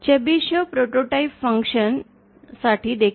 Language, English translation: Marathi, Chebyshev prototype function as well